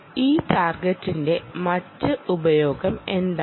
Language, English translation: Malayalam, ok, what is the other use of this target